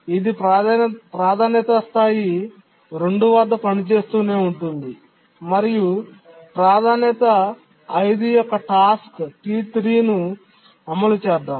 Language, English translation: Telugu, It continues to operate at the priority level 2 and let's say a priority 5 task T3 executes